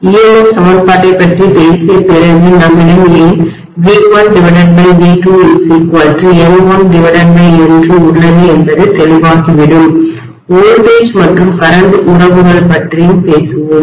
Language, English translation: Tamil, After talking about the EMF equation it will become clearer why we have V1 by V2 equal to N1 by N2, so we will talk about voltage and current relationships